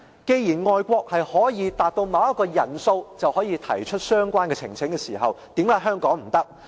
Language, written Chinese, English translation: Cantonese, 既然外國的做法是當達到某一個人數就可以提出相關呈請時，為何香港不可以？, When the overseas countries are ready to permit a petition once the number of petitioners reaches a prescribed threshold why Hong Kong cannot follow suit?